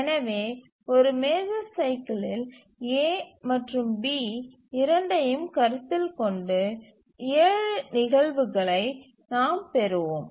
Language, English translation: Tamil, So within one major cycle we will have seven instances altogether considering both A and B